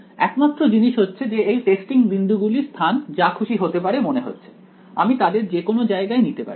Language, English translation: Bengali, Only thing is that the location of these testing points seems a little arbitrary right, I just pick them anywhere right